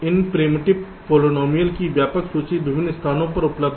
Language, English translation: Hindi, there are comprehensive lists of this primitive polynomials available in various places